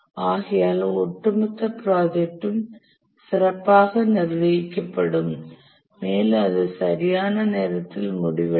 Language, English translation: Tamil, But the overall the project will be managed well it will complete on time